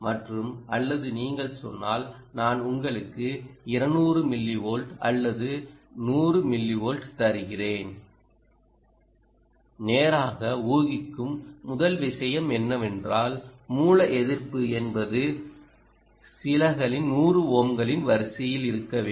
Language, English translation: Tamil, or if you says i will give you a two hundred millivolt or hundred millivolt, and so on, first thing to infer straight away is its source resistance must be in the order of a few hundreds of ohms, two hundred to three hundred ohms